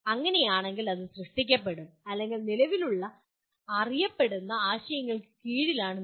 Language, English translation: Malayalam, In that case it will come under create or you are putting under the existing known concepts